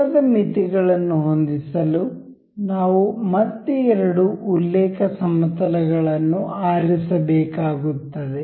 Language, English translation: Kannada, To set angle limits, we have to again select two reference planes